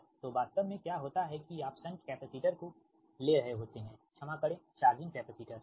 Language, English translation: Hindi, so what happens actually when, when you have your, considering the shunt capacitor, right, sorry, that charging capacitor, right